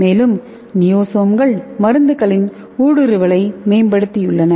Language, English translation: Tamil, And this niosomes have enhanced penetration of the drugs